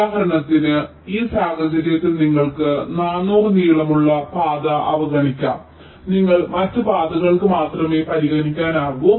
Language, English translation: Malayalam, so in this case, for example, you can ignore the four hundred length path and you can only consider the other paths